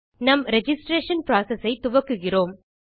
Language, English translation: Tamil, Here we are going to start our registration process